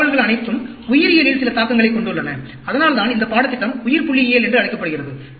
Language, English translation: Tamil, All these distributions have some bearing in the area of Biology, that is why this course is called Biostatistics